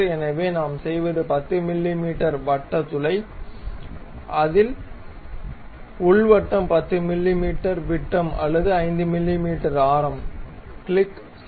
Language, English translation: Tamil, So, what we make is a circular hole of 10 mm we make it, internally circle 10 mm diameter or 5 mm radius click, ok